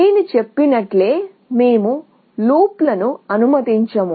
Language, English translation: Telugu, As I said, we will not allow loops